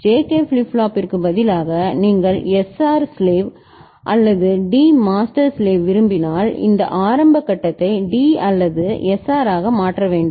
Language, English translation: Tamil, And instead of JK flip flop, if you want SR master slave or D master slave then we need to have this initial stage to be D or SR